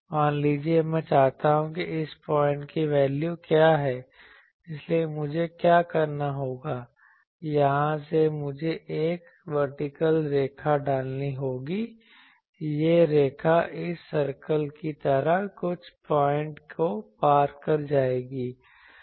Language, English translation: Hindi, Suppose, I want what is the value of this point, so what I will have to do, from here I will have to put a vertical line that line will intersect some point like this circle